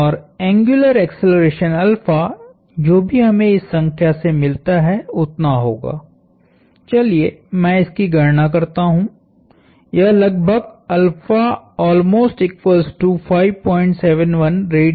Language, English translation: Hindi, And the angular acceleration alpha would be, whatever we get from this number, let me just do this calculation, which is roughly 5